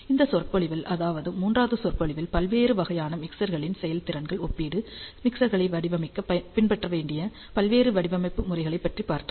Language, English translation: Tamil, And in this lecture which is the third lecture we discussed the performance comparison of various types of mixers, various design methodologies that can be followed to design mixers